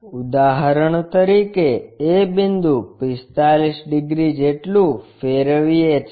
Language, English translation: Gujarati, For example, this a point rotated by 45 degrees